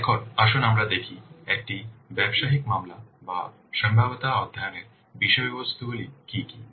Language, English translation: Bengali, Now let's see what are the contents of a business case or feasibility study